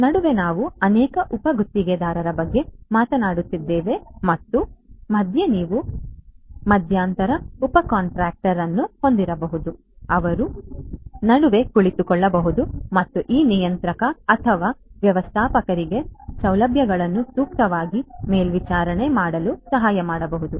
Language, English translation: Kannada, In between because we are talking about multiple subcontractors and so on, in between again you could have an intermediate you could have an intermediate subcontractor an intermediate subcontractor who could be sitting in between and could help this controller or the manager to monitor the facilities appropriately